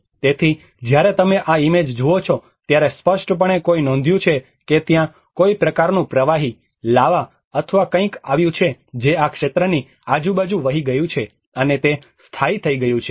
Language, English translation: Gujarati, So, when you look at this image, obviously one can notice that there has been some kind of liquid, lava or something which has been flown around this region and it has got settled down